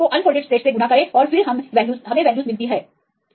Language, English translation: Hindi, So, this is a folded state unfolded state multiply then we get the values